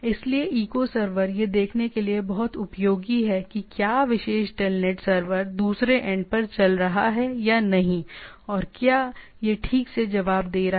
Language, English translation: Hindi, So, echo server is very handy to see that how whether that particular telnet server is running or not at the other end and whether it is responding properly